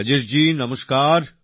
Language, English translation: Bengali, Rajesh ji Namaste